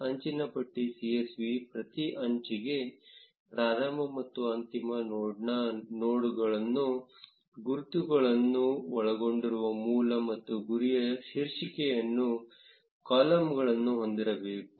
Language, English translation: Kannada, The edge list csv should have columns titled source and target containing node ids of the start and end node for each edge